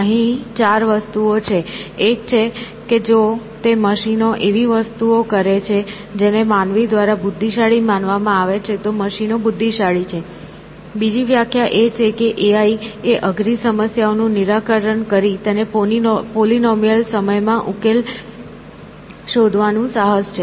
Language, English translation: Gujarati, So, therefore, 4 things here one is that if they do machines are intelligent, if they do things which human beings are considered to be intelligent for; another definition is that AI is the enterprise of solving heart problems and finding polynomial time solutions